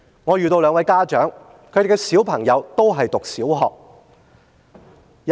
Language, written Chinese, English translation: Cantonese, 我遇見兩位家長，他們的小朋友都正在就讀小學。, I met two parents whose children are studying in primary schools